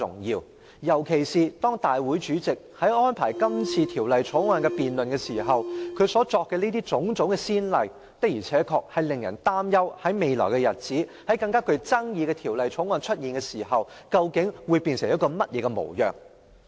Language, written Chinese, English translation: Cantonese, 尤其是，立法會主席今次在安排《條例草案》辯論時作出的種種先例，確實令人擔憂在未來的日子，當我們須審議更具爭議性的法案時，本會究竟會變成甚麼模樣。, In particular it should be noted that the various precedents set by the President of the Legislative Council in making arrangements for debating the Bill this time have indeed led to concerns about what will become of this Council when we are to scrutinize a more controversial bill in the future